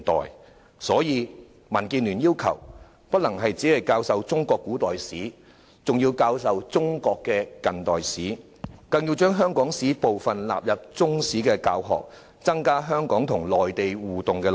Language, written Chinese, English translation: Cantonese, 有見及此，民建聯要求，除中國古代史外，還要教授中國近代史，更要將香港史納入中史教學，增加香港與內地互動的內容。, For this reason DAB requests the inclusion of not only ancient Chinese history but contemporary Chinese history and even Hong Kong history into the Chinese History curriculum with increased focus on the exchanges between Hong Kong and the Mainland